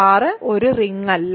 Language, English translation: Malayalam, R is a ring